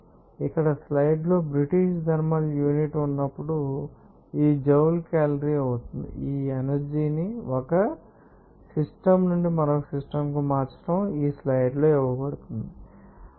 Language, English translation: Telugu, So, that will be joule calorie when British thermal unit here in the slides, this unit conversion of this energy from one system to another system is given also the units for power also given in this slides